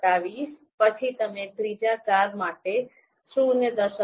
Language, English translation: Gujarati, 27 for the next car, then you know 0